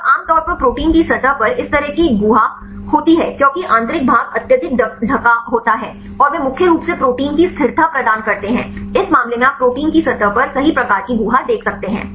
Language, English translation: Hindi, And generally this kind of a cavity on a protein surface right because in the interior part is highly covered, and they are mainly imparting the stability of the protein in this case you can see generally type of cavity right at the protein surface